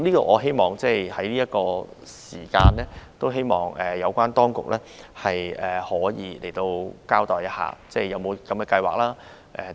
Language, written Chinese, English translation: Cantonese, 我希望在這段時間，有關當局可以交代有否這樣的計劃等。, It is my hope that during this period of time the relevant authorities can elucidate whether there is such a plan and things